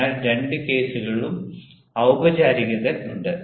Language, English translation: Malayalam, so formality is there in both the cases